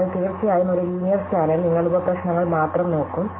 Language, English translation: Malayalam, So, certainly in a linear scan, you would look at only that many sub problems